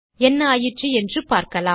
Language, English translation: Tamil, Lets see what happened